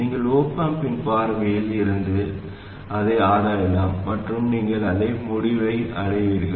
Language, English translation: Tamil, You can also examine it from the viewpoint of the op amp and you will reach exactly the same conclusion